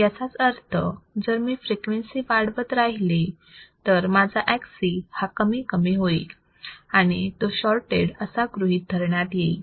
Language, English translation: Marathi, That means that if I keep on increasing the frequency, my Xc will keep on decreasing and that means, that it is considered now as a shorted